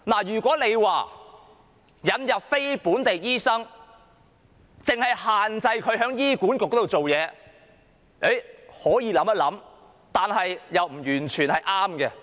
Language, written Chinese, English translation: Cantonese, 如果引入非本地醫生，但只限制他們在醫管局之下工作，這是可以考慮一下的。, If non - local doctors are brought in but they are restricted to working under HA this is something we may consider